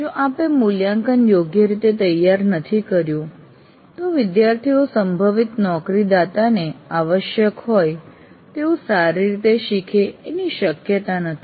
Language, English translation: Gujarati, If your assessment is not designed right, the students are unlikely to learn anything well or properly as required by potential employers